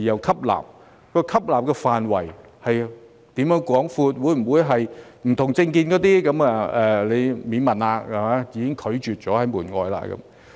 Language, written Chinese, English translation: Cantonese, 吸納對象的範圍是否廣闊，會否將不同政見的年青人拒諸門外呢？, Is the scope of the target group wide enough and will young people holding different political opinions be excluded?